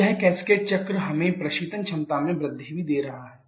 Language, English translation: Hindi, So, this cascaded cycle also giving us an increase in the refrigeration capacity